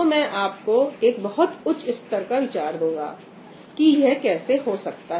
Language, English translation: Hindi, Yeah, I will just give you a high level idea of how that is done